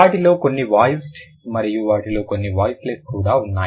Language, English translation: Telugu, Some of them are voiced and some of them are voiceless